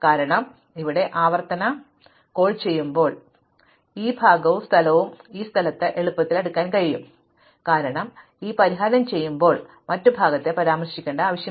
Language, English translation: Malayalam, Because, when I do the recursive call here, I can easily sort this part in place and this part in place, because I do not need to refer to the other part at all when I do this solution